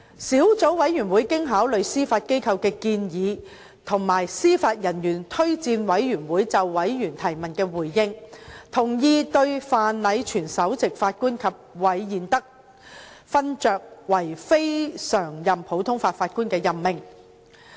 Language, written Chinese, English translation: Cantonese, 小組委員會經考慮司法機構的建議和司法人員推薦委員會就委員提問的回應，同意對范禮全首席法官及韋彥德勳爵為非常任普通法法官的任命。, Having considered the recommendation of the Judiciary and the replies made by JORC to the questions raised by members the Subcommittee supported the appointment of Chief Justice FRENCH and Lord REED as CLNPJs